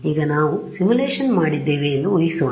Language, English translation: Kannada, So, now, let us imagine we have done the simulation